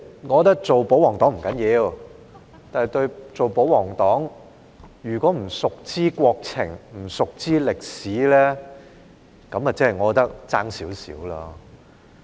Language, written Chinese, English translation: Cantonese, 我覺得做保皇黨不要緊，但做保皇黨又不熟知國情和歷史，我便覺得差了一點點。, I think it is fine to be a royalist Member but if a royalist Member knows little about the countrys situation and history that would be a bit undesirable